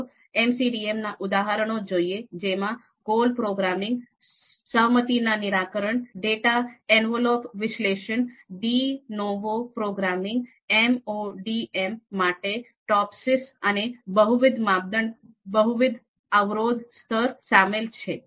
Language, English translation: Gujarati, Now, we will look at the examples of MODM, then goal programming, compromise solution, data envelopment analysis DEA, De novo programming, TOPSIS for MODM and multiple criteria you know multiple constraints level